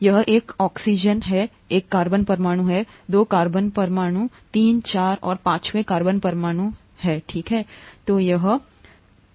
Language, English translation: Hindi, This is an oxygen, one carbon atom, two carbon atoms, three, four and the fifth carbon atoms here, okay